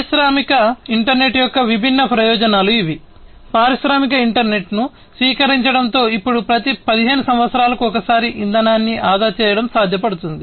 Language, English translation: Telugu, So, these are the different advantages of the industrial internet, with the adoption of industrial internet, it is now possible to save on fuel in, you know, every 15 years